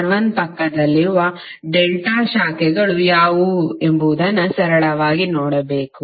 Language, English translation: Kannada, You have to simply see what are the delta branches adjacent to R1